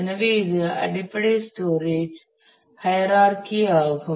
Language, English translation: Tamil, So, this is the basic storage hierarchy